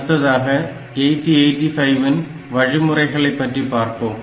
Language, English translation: Tamil, Next we will look into the instructions of 8085